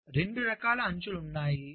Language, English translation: Telugu, so there are two kinds of edges